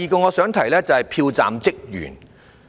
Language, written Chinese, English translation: Cantonese, 第二點有關票站職員。, The second point is about polling station staff